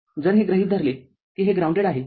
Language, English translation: Marathi, If you assume this is grounded